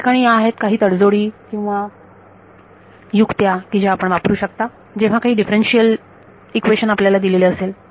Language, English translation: Marathi, So, these are some of the compromises or tricks you can use given some differential equation